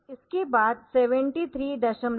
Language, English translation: Hindi, So, it will be displayed then 73 decimal